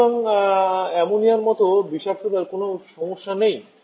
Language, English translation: Bengali, So there is no issue of toxicity like in Ammonia